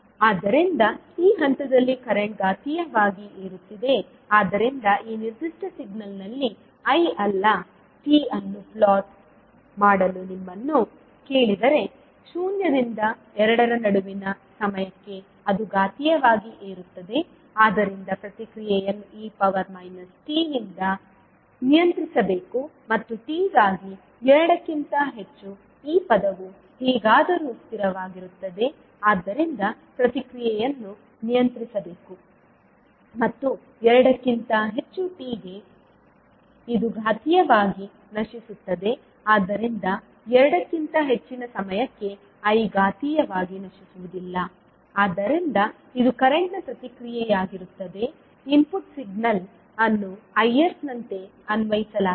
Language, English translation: Kannada, So at this point the the current is exponentially rising so if you are asked to plot the I not t also on this particular signal so for time t ranging between zero to two it is exponentially raising so you response would be like this, and for t greater than two this term is anyway constant so the response should be govern by e to the power minus t means for t greater than two it would be exponentially decaying so the I naught t for time t greater than two would be exponentially decaying so this would be the response of current I naught for the input signal applied as Is